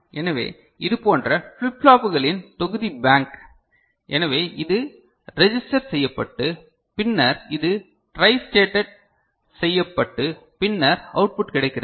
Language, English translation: Tamil, So, bank of such flip flops, so we are saying that it is registered and then this is tristated and then the output is available